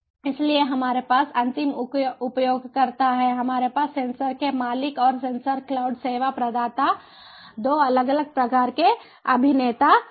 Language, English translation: Hindi, so we have end users, we have sensor owner and the sensor cloud service provider, three different types of, three different types of actors